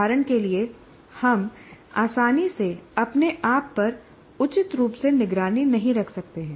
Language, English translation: Hindi, For example, we haven't been able to monitor properly